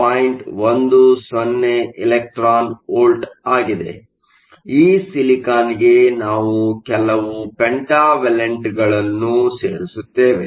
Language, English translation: Kannada, 10 electron volts at room temperature; to this silicon we add some pentavalent impurities